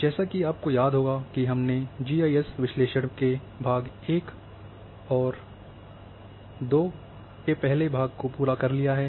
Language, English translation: Hindi, As you can recall that we have completed one and two in the GIS analysis in one lecture